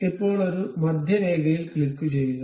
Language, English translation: Malayalam, now click a centre line